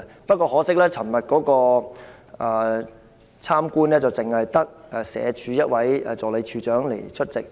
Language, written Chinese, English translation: Cantonese, 不過，可惜的是，昨天的探訪活動只有社會福利署一位助理署長出席。, But regrettably just one Assistant Director of the Social Welfare Department SWD had attended yesterdays visit